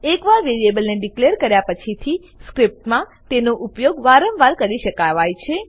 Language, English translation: Gujarati, Once a variable is declared, it can be used over and over again in the script